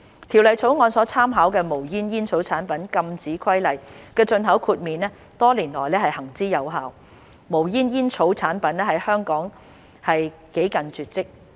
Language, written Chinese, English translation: Cantonese, 《條例草案》所參考的《無煙煙草產品規例》的進口豁免多年來行之有效，無煙煙草產品在香港幾近絕跡。, The exemption for import under the Smokeless Tobacco Products Prohibition Regulations to which the Bill refers has worked well for many years and smokeless tobacco products are almost extinct in Hong Kong